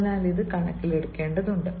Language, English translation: Malayalam, so this has to be taken into consideration